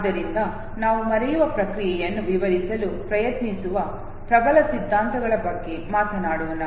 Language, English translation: Kannada, So let us talk about the dominant theories which tries to explain the process of forgetting